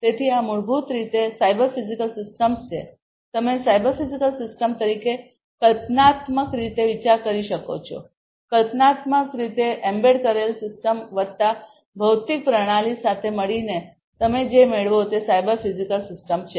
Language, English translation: Gujarati, So, these are basically you know cyber physical systems are you can think of conceptually as cyber physical system, conceptually as you know embedded system embedded system plus the physical system together you what you get is the cyber physical system together what you get is the cyber physical system